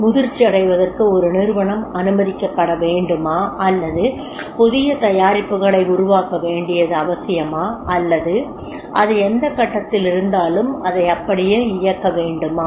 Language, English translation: Tamil, Is it to be allowed to organization to get matured or it is required to develop the new products or it is required to make the run in whatever the stage it is